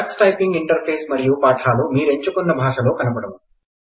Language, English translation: Telugu, The Tux Typing Interface and lessons will be displayed in the language you select